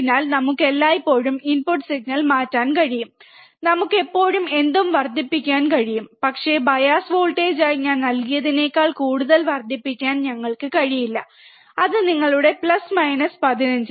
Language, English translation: Malayalam, So, we can always change the input signal, we can always amplify whatever we want, but we cannot amplify more than what we I have given as the bias voltage, which is your plus minus 15